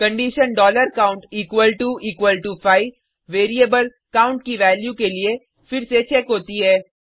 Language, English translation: Hindi, The condition $count equal to equal to 5 is checked against the value of variable count